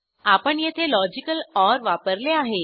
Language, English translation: Marathi, Please note that logical OR is used here